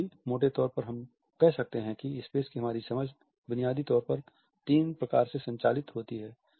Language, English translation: Hindi, Still roughly we can say that the understanding of space is governed by our understanding of three basic types